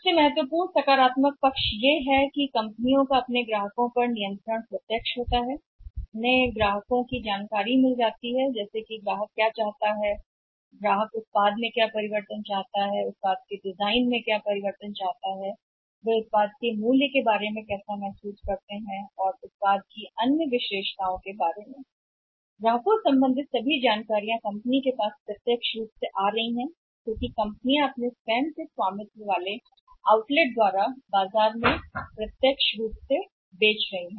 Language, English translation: Hindi, The main positive part here is that companies control up on the customers is direct what customers want what changes in the product customers what changes in the design of the product customers want and how they are feeling about the price of the product and other attributes of the product all customer related information is directly coming to the company because companies directly selling through their own company owned at outlet in the market